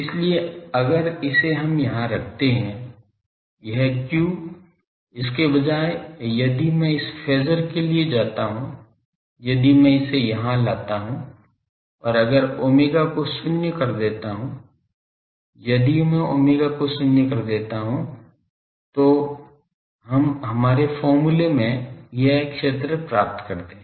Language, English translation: Hindi, So, this if we put here that this q instead of that if I go for this phasor if I introduce this here, and if I let omega goes to zero, if I force omega goes to 0 then we get this field in our expression